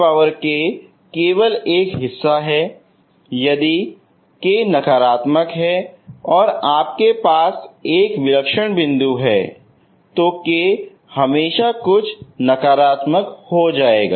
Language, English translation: Hindi, If k is negative and you have a singular point k will always be some kind of negative